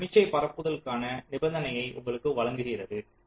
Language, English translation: Tamil, this gives you the condition for signal propagation